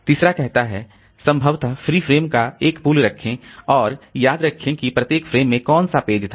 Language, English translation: Hindi, The third one says the possibly keep a pool of free frame and remember which page was in each frame